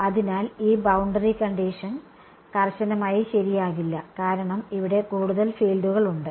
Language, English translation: Malayalam, So, this boundary condition will not be strictly true because there are more fields over here